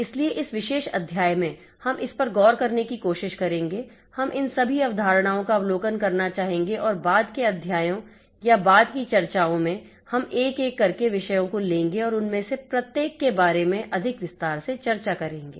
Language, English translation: Hindi, So, in this particular chapter we will try to look into, we will like to have an overview of all these concepts and in subsequent chapters or subsequent discussions we will be taking up the topics one by one and discuss in more detail about each of them